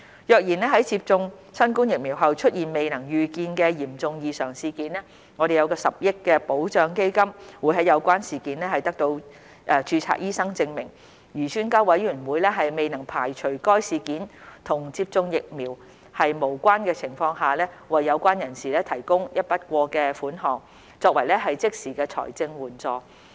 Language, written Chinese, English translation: Cantonese, 若然在接種新冠疫苗後出現未能預見的嚴重異常事件 ，10 億元保障基金會在有關事件得到註冊醫生證明，而專家委員會未能排除該事件與接種疫苗無關的情況下，為有關人士提供一筆過的款項，作為即時的財政援助。, Should there be any unexpected serious adverse events following immunization with COVID - 19 vaccines the 1 billion indemnity fund will provide a lump - sum payment as financial support to the affected individual on condition that there is certification by a registered medical practitioner of the event and the Expert Committee cannot rule out that the event is not associated with the administration of the vaccine